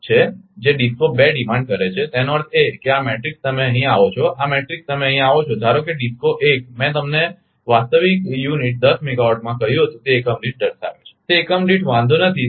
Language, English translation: Gujarati, Now, it is a point per unit megawatt power that is DISCO 2 demands right; that means, this ah this ah matrix you come here, right this matrix you come here suppose DISCO 1 I told you in real unit 10 megawatt it is showing in per unit per unit does not matter